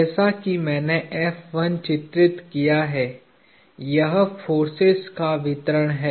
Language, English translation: Hindi, F1 as I have drawn it, is a distribution of forces